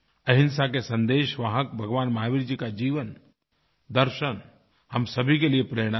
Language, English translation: Hindi, The life and philosophy of Lord Mahavirji, the apostle of nonviolence will inspire us all